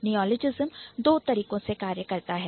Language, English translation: Hindi, Neologism works in two ways